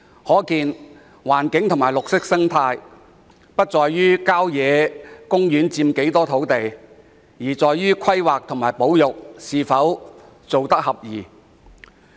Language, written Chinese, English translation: Cantonese, 可見，保護環境及維持綠色生態的要素，不在於郊野公園佔多少土地，而在於規劃及保育措施是否奏效。, Thus the crux of protecting the environment and maintaining a green ecology is not the amount of land taken up by country parks but the effectiveness of planning and conservation measures